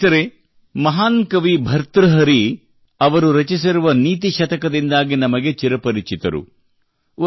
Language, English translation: Kannada, Friends, we all know the great sage poet Bhartrihari for his 'Niti Shatak'